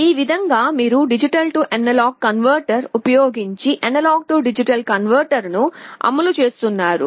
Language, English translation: Telugu, This is how you are implementing an A/D converter using a D/A converter